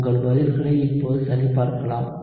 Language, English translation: Tamil, So, you can check your answers now